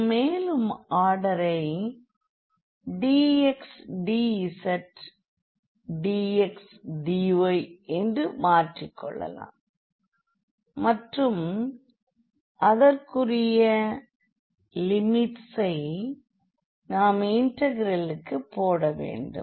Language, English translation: Tamil, Also we can further change like the order dx dz dx dy and that corresponding limits will against it over the integrals